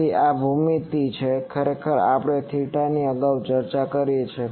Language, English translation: Gujarati, So, this is geometry actually we have already discussed theta earlier